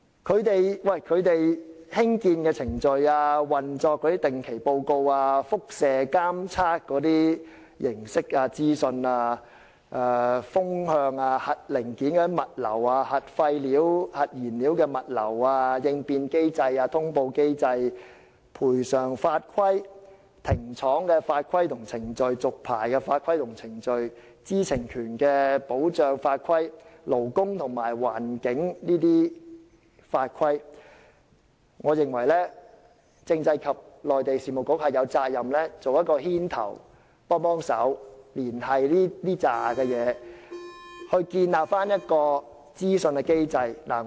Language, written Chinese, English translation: Cantonese, 關於它們的興建程序、運作的定期報告、輻射監測形式和資訊、風向、核零件物流、核廢料及核燃料物流、應變機制、通報機制、賠償法規、停廠法規及程序、續牌法規及程序、知情權的保障法規、勞工及環境法規等，我認為政制及內地事務局有責任牽頭作出連繫，從而建立一套資訊機制。, Regarding regular reports on their construction processes and operation mode of radioactivity monitoring and information wind directions logistics of nuclear parts logistics of nuclear wastes and nuclear fuel contingency mechanisms reporting mechanisms legislation on compensation legislation and procedures on the shutting down of plants legislation and procedures on licence renewal legislation to protect the right of access to information legislation on labour and the environment etc I think the Constitutional and Mainland Affairs Bureau should take the lead in liaison so as to build up a set of information mechanism